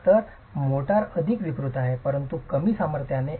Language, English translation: Marathi, So, the motor is more deformable but of lower strength